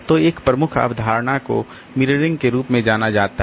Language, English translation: Hindi, So, a major concept is known as mirroring